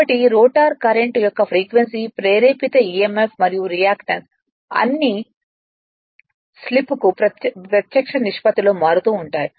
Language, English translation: Telugu, So, therefore, it is it is therefore, seen that that the frequency of rotor current is induced emf and [ ] rea[ctance] and reactance all vary in direct proportion to the slip